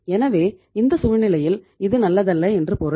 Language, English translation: Tamil, So it means in this situation this is not good